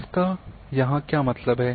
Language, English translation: Hindi, What does it mean here